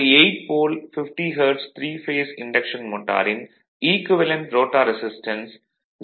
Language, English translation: Tamil, So, an 8 pole, 50 hertz, 3 phase induction motor has an equivalent rotor resistance of 0